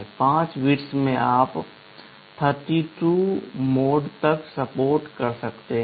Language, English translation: Hindi, In 5 bits you can support up to 32 modes